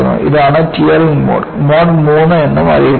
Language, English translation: Malayalam, This is the Tearing Mode also called as Mode III